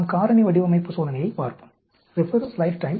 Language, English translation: Tamil, Let us look at a factorial design experiment